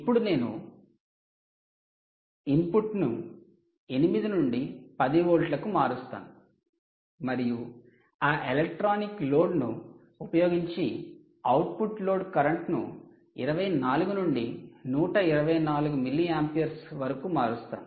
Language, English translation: Telugu, so now what we do is we change the input from ah from eight to ten volts and we again ah, you know, vary the output load current using that electronic load, from twenty four to one twenty four milliamperes